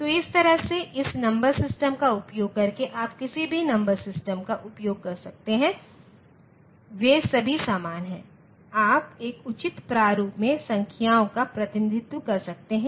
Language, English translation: Hindi, So, this way by using this number system you can any number system you can use they are all equivalent, you can represent numbers in a proper format